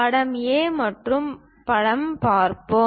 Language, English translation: Tamil, Let us look at picture A and picture B